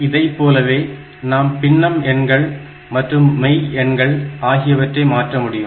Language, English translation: Tamil, We can also convert fractional numbers, real numbers